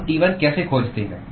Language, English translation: Hindi, How do we find T1